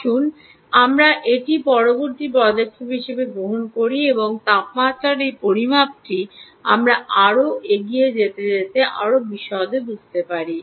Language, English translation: Bengali, lets take this up as a next step and understand this ah uh, this measurement of temperature, in a lot more detail as we go along